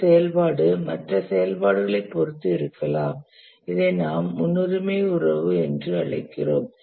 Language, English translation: Tamil, An activity may be dependent on other activities and this we call as the precedence relation